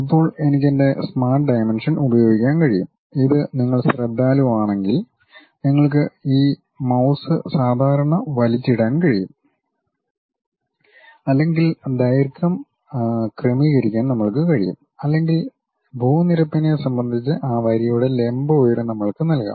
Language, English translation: Malayalam, Now, I can use my smart dimension, this one if you are careful enough you can just pull this mouse normal to that adjust the length or we can give the vertical height of that line also with respect to ground level